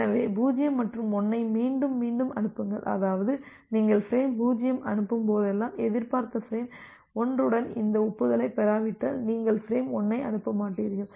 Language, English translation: Tamil, So, repeated 0’s and 1’s so; that means, whenever you have send frame 0, unless you are getting this acknowledgement with the expected frame 1; you will not send frame 1